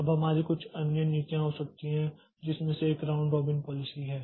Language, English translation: Hindi, Now, we can we can have some other policies which is one of them is the round robin policy